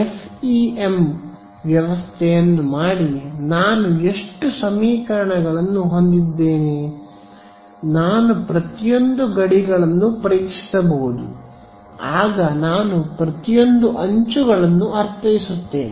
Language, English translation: Kannada, So, if I just do the FEM system of equations I will have how many equations; I can test along each of the boundaries I mean each of the edges